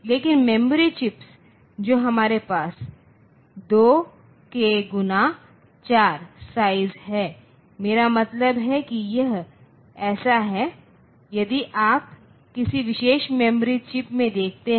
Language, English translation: Hindi, So, they are of size 2 kilo into 4 bit, what I mean is that so this a if you look into a particular memory chip